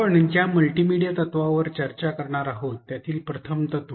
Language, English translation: Marathi, The first principle that we will discuss is the multimedia principle